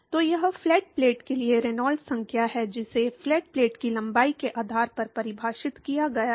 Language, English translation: Hindi, So, this is the Reynolds number for the flat plate, this is defined based on the length of the flat plate